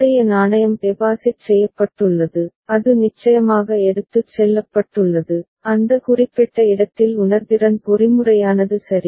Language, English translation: Tamil, The earlier coin that has been deposited that has gone, that has been taken away of course, in that particular place where the sensing mechanism is there ok